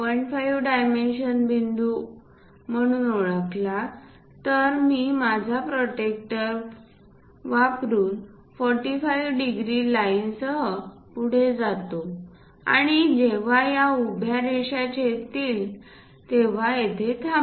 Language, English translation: Marathi, 5 dimension from here to here as a point then, I go ahead using my protractor with 45 degrees line and stop it when it is these vertical line going to intersect